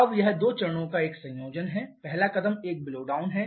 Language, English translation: Hindi, Now it is a combination of 2 steps first step is a blowdown